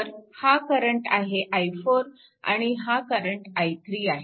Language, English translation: Marathi, So, 4 plus i 2 plus i 3 is equal to i 4